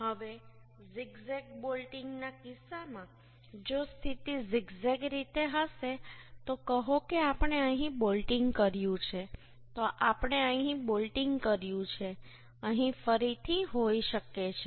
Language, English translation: Gujarati, Now, in case of zig zag bolting, if position will be in a zig zag way, so we have bolting here, then we have bolting here may be again here here